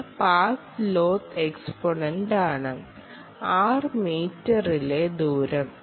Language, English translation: Malayalam, n is the path loss exponent and r is the distance in metres